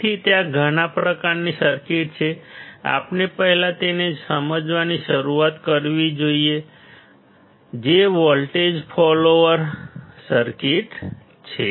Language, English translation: Gujarati, So, there are several kinds of circuits, we should start understanding the first one; which is the voltage follower circuit